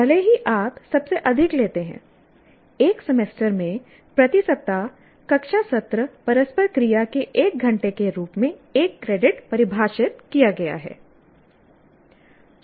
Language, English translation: Hindi, Even if you take the highest one, one credit is defined as one hour of classroom session interaction per week over a semester